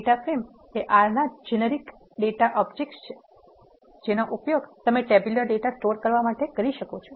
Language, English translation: Gujarati, Data frame are generic data objects of R which you are used to store the tabular data